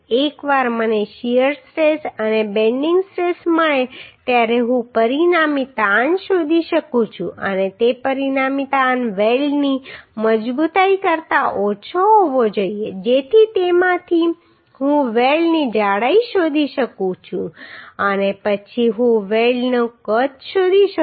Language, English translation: Gujarati, Once I get shear stress and bending stress I can find out the resultant stress and that resultant stress should be less than the weld strength so from that I can find out the thickness of the weld and then I can find out the size of the weld